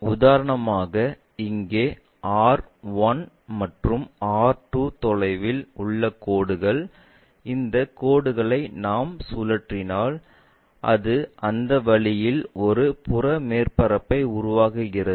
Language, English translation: Tamil, For example here, this is the line which is at a distance R 1, and R 2, if this line we revolve it, it makes a peripheral surface in that way